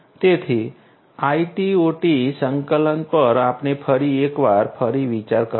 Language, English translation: Gujarati, So, IT OT integration once again we have to relook at